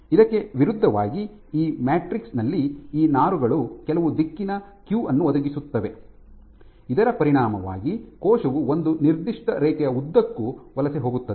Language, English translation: Kannada, Versus in this matrix these fibers provide some directional cue as a consequence of which the cell tends to migrate along one particular line